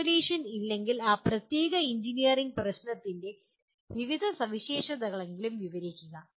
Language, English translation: Malayalam, If not formulation, at least describe the various features of that particular engineering problem